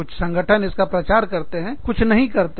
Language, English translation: Hindi, Some organizations promote it, some do not